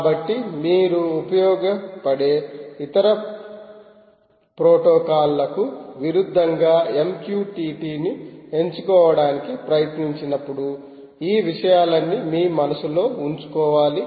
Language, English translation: Telugu, so all these things have to be borne in your mind when you try to choose, pick m q t t as against other protocols which may be useful, right